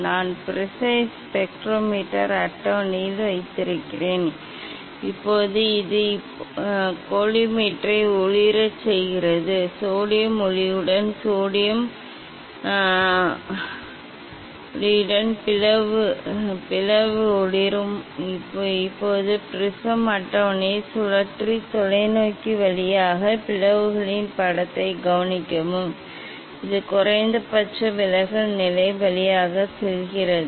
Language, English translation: Tamil, I have placed the prism on the spectrometer table, Now, so this now this is illuminated this collimator the slit is illuminated with the sodium light with the sodium light, Now, rotate the prism table and observe the image of the slit through the telescope as it passes through the minimum deviation position